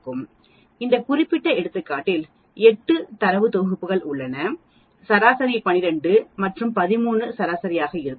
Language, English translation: Tamil, In this particular case we have 8 data sets and the median will be average of 12 and 13